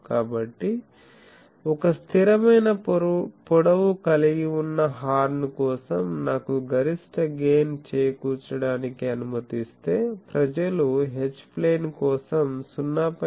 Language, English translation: Telugu, So, for a fixed length horn, if I am allowed to do maximum gain thing, then people do that for H plane they suffer that 0